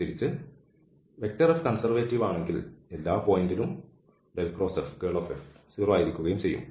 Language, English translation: Malayalam, So, this F is conservative because all these conditions are satisfied